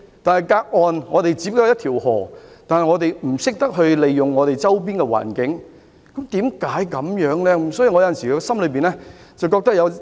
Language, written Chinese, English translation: Cantonese, 可是，與內地只相隔一條河的我們，就是不懂得把握周邊環境提供的機遇，為甚麼會這樣的呢？, Hong Kong is separated from the Mainland by a river only however we are not alert enough to grasp the opportunities offered by places nearby . Why?